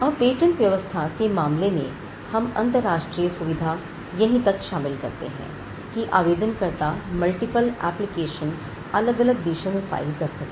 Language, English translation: Hindi, Now, in the case of the patent regime, the international facilitation is only to the point of enabling applicants to file multiple applications in different countries